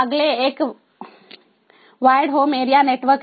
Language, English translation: Hindi, the next one is the wired home area network